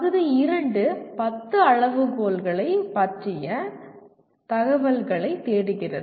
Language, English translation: Tamil, Part 2 seeks information on 10 criteria